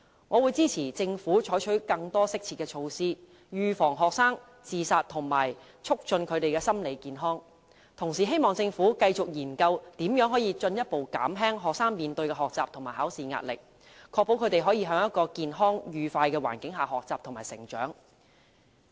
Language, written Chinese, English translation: Cantonese, 我會支持政府採取更多適切的措施，預防學生自殺及促進學生的心理健康，同時希望政府繼續研究如何進一步減輕學生面對的學習和考試壓力，確保他們可以在一個健康、愉快的環境下學習和成長。, I will support the Government in introducing more appropriate measures to prevent student suicides and enhance their mental health . At the same time I hope that the Government will continue to examine ways to further alleviate the pressure faced by students in learning and examinations ensuring that they can enjoy learning and grow up in a healthy and happy environment